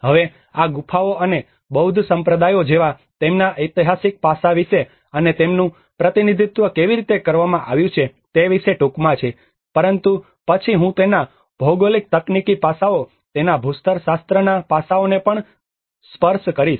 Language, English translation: Gujarati, \ \ Now, this is a brief about the caves and their historic aspect like the Buddhist sects and how they have been represented, but then I will also touch upon the geotechnical aspects of it, the geomorphological aspects of it